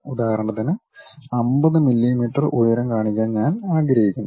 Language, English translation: Malayalam, For example, I would like to have a height of 50 millimeters